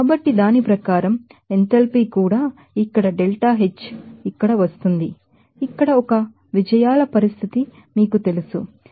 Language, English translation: Telugu, So, accordingly that enthalpy also will come like it is here delta H will be coming as here, what is you know the condition of 1 wins here is 29